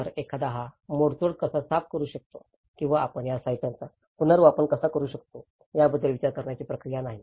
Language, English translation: Marathi, So, there is no thought process of how one can even clean up this debris or how we can reuse these materials